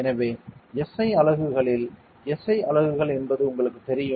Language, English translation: Tamil, So, in SI units you know SI units it is ok